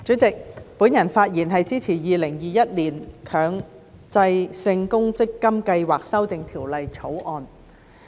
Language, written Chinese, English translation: Cantonese, 主席，我發言支持《2021年強制性公積金計劃條例草案》。, President I speak in support of the Mandatory Provident Fund Schemes Amendment Bill 2021 the Bill